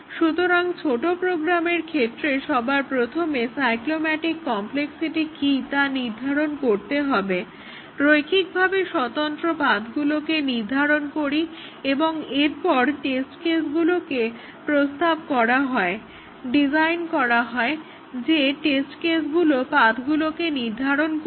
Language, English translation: Bengali, So, for small programs we first determine what the cyclomatic complexity is determine the set of linearly independent paths and then propose test cases design test cases which will execute this paths